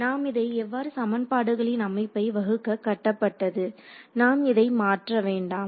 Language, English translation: Tamil, So, that is built into how we formulate the system of equations, we need not vary about it